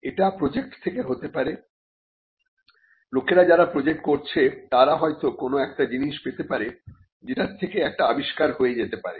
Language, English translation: Bengali, They may result from projects; people who do a project may find that something in the process of doing the project, they would come across an invention